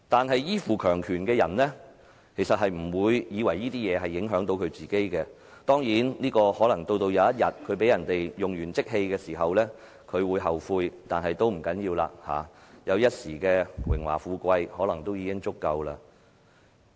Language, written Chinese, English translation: Cantonese, 然而，依附強權的人就不認為這些事情會影響到自己，當然，可能到了某一天，他被人用完即棄時，才會後悔，但這已不要緊了，因為他覺得能享有一時的榮華富貴已足夠。, However for those relying on the power they do not think that these issues will affect them . Of course they may regret one day when it is their turn to be abandoned after they are no longer useful but this is not important though as they are happy enough to enjoy some temporary splendour and glory